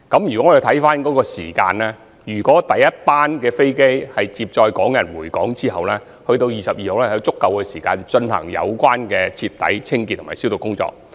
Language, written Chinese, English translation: Cantonese, 從時間方面來看，第一班航機在接載港人回港後直至2月22日，應有足夠時間進行徹底的清潔及消毒工作。, From the perspective of timing before the first chartered plane takes off again on 22 February after bringing Hong Kong residents home there should be sufficient time for thorough cleansing and disinfection